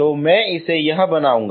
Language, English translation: Hindi, So I will make it this one